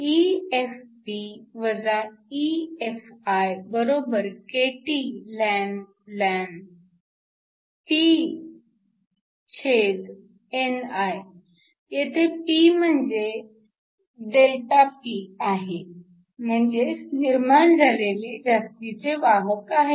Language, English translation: Marathi, EFp EFi=kTln Pni , where P is ΔP which is the excess carriers that are generated which is equal to 1014 cm 3